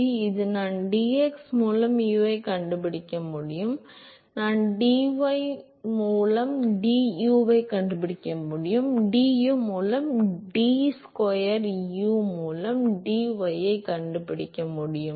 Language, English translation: Tamil, So, now, I can find out the u by dx, I can find out du by dy, you can find out du by d square u by dy square